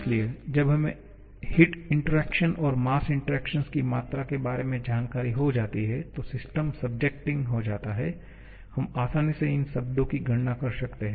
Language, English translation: Hindi, So, once we have knowledge about the amount of heat interaction and mass interaction, the system is subjecting, we can easily calculate this term and this term